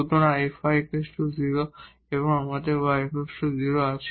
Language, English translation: Bengali, And then F y is equal to 0